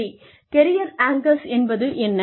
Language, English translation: Tamil, Now, what are career anchors